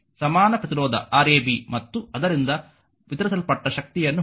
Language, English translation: Kannada, So, find the equivalent resistance Rab right and the power deliveredby the same right